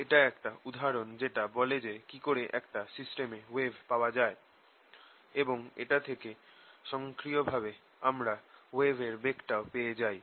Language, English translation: Bengali, so this one example how wave equation is obtain in a system and that automatically gives you the speed of wave